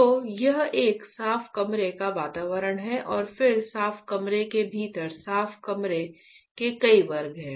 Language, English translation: Hindi, So, this is a clean room environment and then within the clean room, there are several classes of clean room